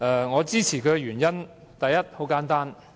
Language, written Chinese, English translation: Cantonese, 我支持她的原因很簡單。, The reasons for me to give my support are simple